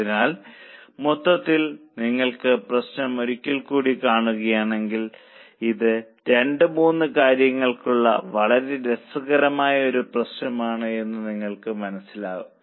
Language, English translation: Malayalam, So, overall, if you see the problem once again, you will realize that this is a very interesting problem for two, three things